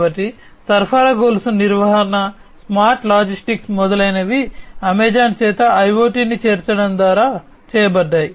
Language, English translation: Telugu, So, supply chain management, smart logistics etcetera, have been have been done by Amazon through the incorporation of IoT